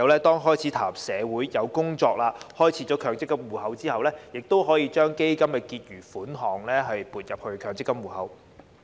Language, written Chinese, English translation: Cantonese, 當孩子踏入社會工作，並開設強積金戶口後，基金結餘款項便可撥入強積金戶口。, When he starts working and has a Mandatory Provident Fund MPF account his Fund account balance will be transferred to his MPF account